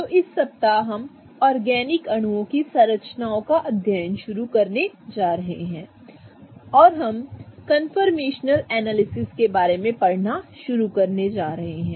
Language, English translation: Hindi, So, this week we are going to start studying the structures of the organic molecules and we are going to begin our journey in conformational analysis